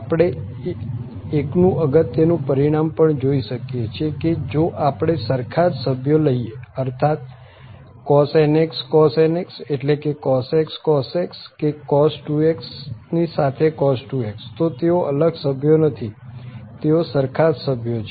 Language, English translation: Gujarati, We can also check this following useful results that if we take the same member that means the cos nx, cos nx mean cos x, cos x or cos 2x with cos 2x, so they are not different members, so they are the same members